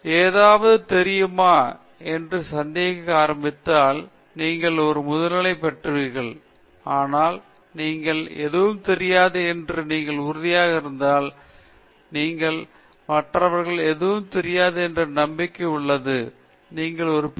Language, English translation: Tamil, Tech; if you begin to doubt that you know anything at all, you will get a Masters; but if you are convinced that you don’t know anything, but you are also convinced that others also don’t know anything, then you get a Ph